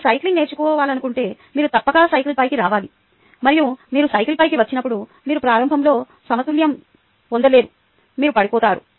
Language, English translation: Telugu, if you want to learn cycling, you must get onto the cycle and when you get onto the cycle, you will not be able to balance